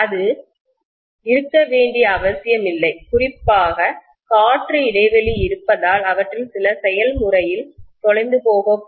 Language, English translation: Tamil, It need not be, specially because intervening air gap is there, some of them may get lost in the process